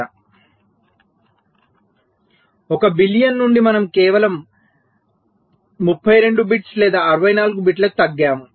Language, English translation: Telugu, so from one billion we come down to just thirty two bits or sixty four bits